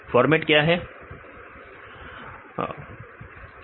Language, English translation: Hindi, What is format